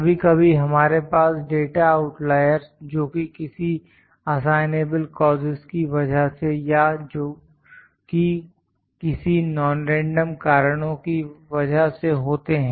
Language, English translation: Hindi, Sometimes we have data outliers which are due to some assignable causes or which are due to some non random causes